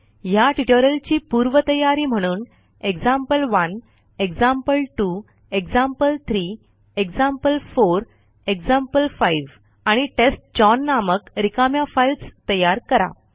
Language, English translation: Marathi, The prerequisite for this tutorial is to create empty files named as example1, example2, example3, example4, example5, and testchown